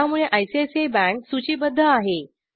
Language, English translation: Marathi, So ICICI bank is listed